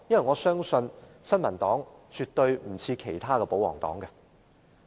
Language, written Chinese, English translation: Cantonese, 我相信新民黨與其他保皇黨不同。, I believe that the New Peoples Party is different from other royalist parties